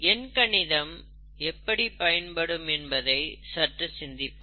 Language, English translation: Tamil, Let us think about how we learnt arithmetic, in mathematics